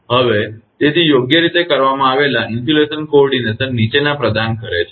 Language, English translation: Gujarati, So, therefore a properly done insulation coordination provides the following